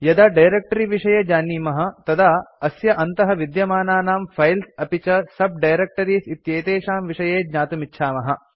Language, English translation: Sanskrit, Once we know of our directory we would also want to know what are the files and subdirectories in that directory